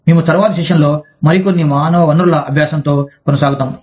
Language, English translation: Telugu, We will continue with, some more human resource learning, in the next session